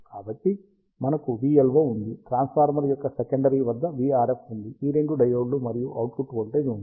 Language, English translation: Telugu, So, we have a v LO, the v RF at the secondary of the transformer, these two diodes, and output voltage